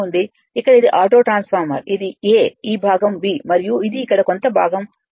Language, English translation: Telugu, The here it is, here it is the auto transformer it is A this part is B and this here some part is C right